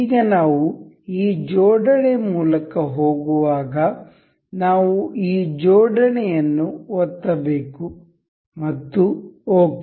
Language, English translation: Kannada, Now when we are going through this assembly we have to click on this assembly and ok